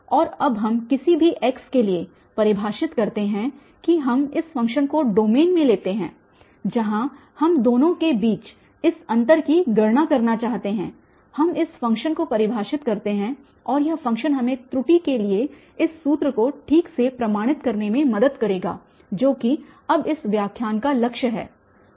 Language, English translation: Hindi, And now we define that for any x we take in the domain of this function where we want to calculate this difference between the two, we define this function and this function will to help us prove exactly this formula for the error which is the aim this lecture now